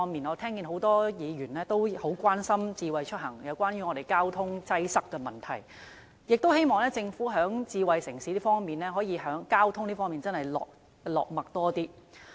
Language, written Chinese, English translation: Cantonese, 我聽到很多議員也很關心智慧出行和交通擠塞的問題，希望政府在智慧城市的交通方面多加着墨。, I heard many Members express great concern about smart mobility and traffic congestion problems in the hope that the Government can pay more attention to traffic in the smart city